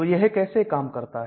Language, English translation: Hindi, So how does it do